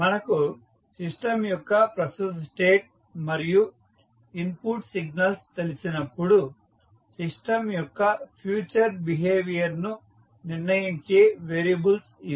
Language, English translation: Telugu, These are the variables that determine the future behaviour of the system when present state of the system and the input signals are known to us